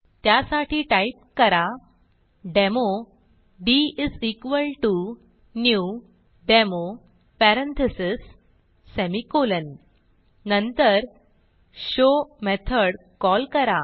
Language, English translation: Marathi, So type Demo d=new Demo parentheses, semicolon Then call the method show